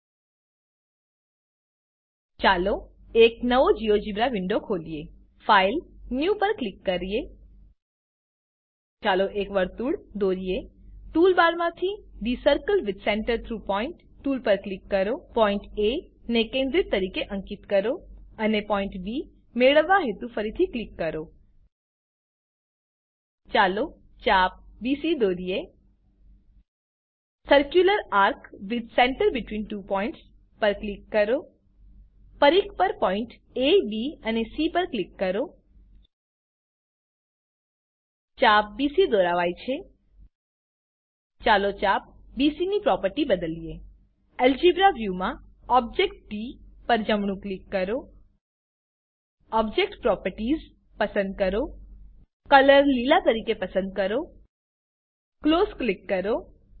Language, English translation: Gujarati, LetsOpen a new Geogebra window, Click on File New Lets draw a circle Click on the Circle with Center through Point tool from toolbar Mark a point A as centre and click again to get point B Lets draw an arc BC Click on Circular Arc with Center between Two points Click on the point A, B and C on the circumference An Arc BC is drawn Lets change the properties of arc BC In the Algebra View Right click on the object d Select Object Properties Select color as green, click on Close